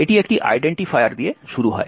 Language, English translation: Bengali, It starts off with an identifier